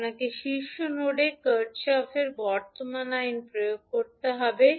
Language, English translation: Bengali, You have to apply the Kirchhoff current law at the top node